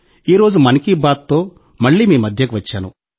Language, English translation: Telugu, And today, with ‘Mann Ki Baat’, I am again present amongst you